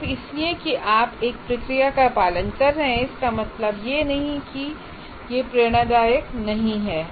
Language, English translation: Hindi, It does not, just because you are following a process, it doesn't mean that it is not inspirational